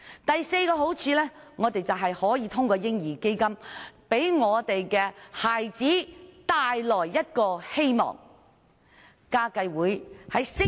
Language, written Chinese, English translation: Cantonese, 第四個好處是，我們可以透過"嬰兒基金"為孩子帶來希望。, The fourth benefit is that we can bring hope to children through the establishment of a baby fund